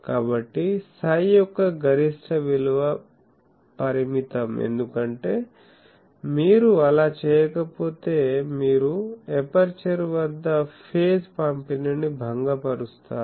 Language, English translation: Telugu, So, maximum value of psi is limited, because if you do not do that then you disturb the phase distribution at the aperture